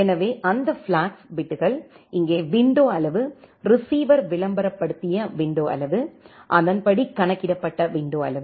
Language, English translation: Tamil, So, those flag bits are here the window size the receiver advertised window size, and accordingly the calculated window size